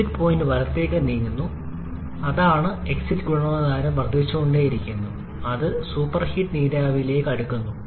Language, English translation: Malayalam, The exit point is getting shifted towards right ,that is the exit quality is also increasing it is approaching the superheated vapour